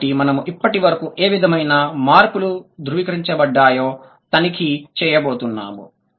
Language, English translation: Telugu, So, now what we are going to, we are going to check what sort of changes have been attested so far